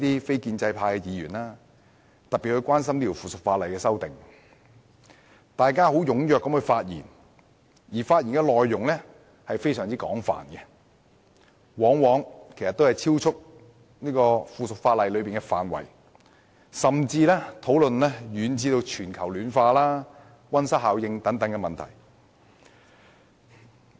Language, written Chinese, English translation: Cantonese, 非建制派的議員尤其關心這項《修訂令》，紛紛踴躍發言，而且內容非常廣泛，往往超出附屬法例的涵蓋範圍，甚至遠及全球暖化和溫室效應等問題。, Members from the non - establishment camp are particularly concerned about this Amendment Order . They are enthusiastic to speak with very extensive contents that often go beyond the scope of the subsidiary legislation such that they even fetched so far as problems of global warming and greenhouse effect